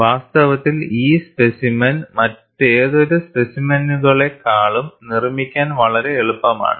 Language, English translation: Malayalam, In fact, this specimen is much easier to manufacture than any of the other specimens